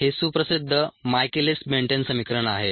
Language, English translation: Marathi, this is the well known michaelis menten equation